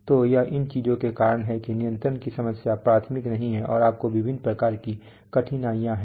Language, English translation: Hindi, So it is because of these things that the control problem is not elementary and you have various kinds of difficulties